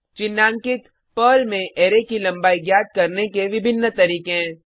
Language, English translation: Hindi, Highlighted, are various ways to find the length of an array in Perl